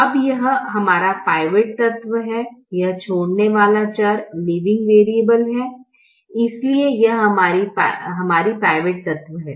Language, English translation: Hindi, now this is our pivot element, this is the leaving variable, for this is our pivot element